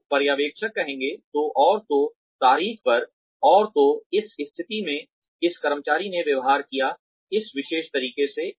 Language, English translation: Hindi, So, the supervisor will say, on so and so date, in so and so situation, this employee behaved, in this particular manner